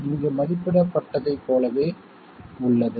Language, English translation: Tamil, It is the same as what is evaluated here